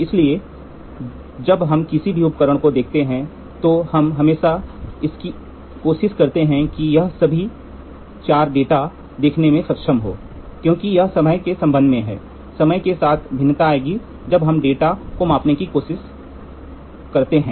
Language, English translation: Hindi, So, now when we look at any instruments we always try to see all the 4 data are capable in that instrument this because this is with respect to time, variation with time we can try to measure the data